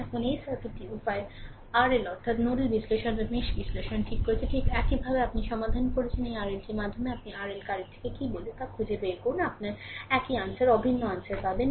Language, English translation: Bengali, Now, this circuit, the way we have earlier learned nodal analysis or mesh analysis, same way you solve and find out what is the your what you call R R L current through R L, you will get the same answer, identical answer right